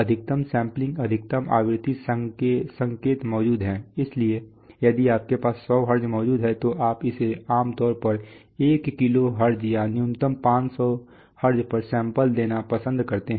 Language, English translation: Hindi, Maximum sampling, maximum frequency signal present so if you have 100 Hertz present you typically like to sample it at 1kilohertz or minimum 500 Hertz right